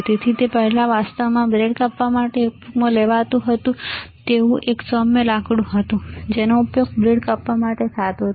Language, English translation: Gujarati, So, it was earlier used to actually cut the bread, it was a polished wood used to cut the bread, right